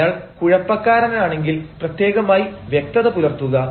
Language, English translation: Malayalam, if he is muddle headed, be specially lucid